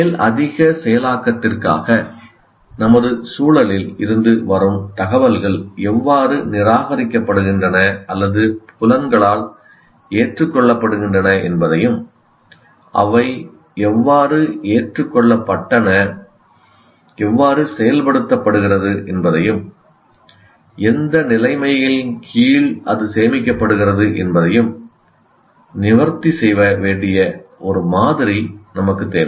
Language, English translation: Tamil, Now, we require a model that should address how the information from our environment is rejected or accepted by senses for further processing and how the accepted information is processed under what conditions it gets stored